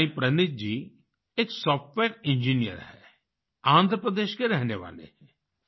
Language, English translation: Hindi, Saayee Praneeth ji is a Software Engineer, hailing from Andhra Paradesh